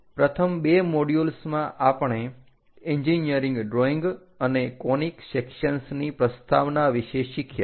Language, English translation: Gujarati, In the first two modules, we have learned about introduction to engineering drawings and conic sections